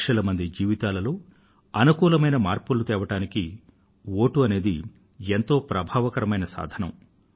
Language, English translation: Telugu, The vote is the most effective tool in bringing about a positive change in the lives of millions of people